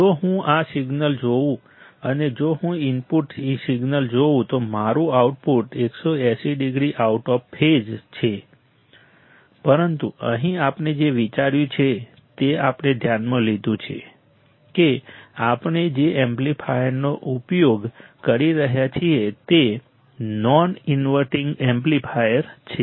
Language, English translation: Gujarati, If I see this signal and if I see the input signal my output is 180 degree out of phase, but here what we have considered we have considered that the amplifier that we are using is a non inverting amplifier